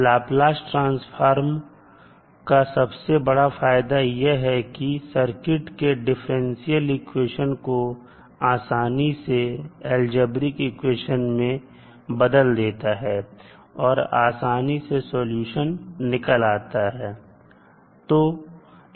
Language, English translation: Hindi, So the advantage of having the Laplace transform is that the differential equations which are coming in the circuit can be easily converted into the algebraic equations and we can solve it easily